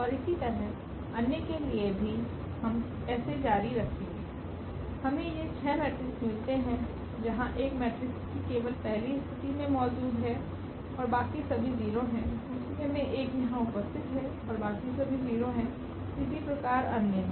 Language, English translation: Hindi, And so on we continue with this we get these 6 matrices where this 1 is sitting here at the first position only in this matrix, in the second case 1 is sitting here and all others are 0 and so on